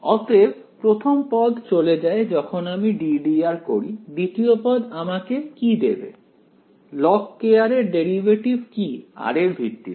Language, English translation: Bengali, So the first term goes away, when I take the d by d r second term will give me what, what is the derivative of log k r with respect to r